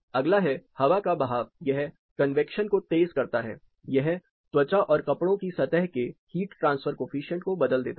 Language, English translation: Hindi, Next is air movement it accelerates convection it alters skin and clothing surface heat transfer coefficient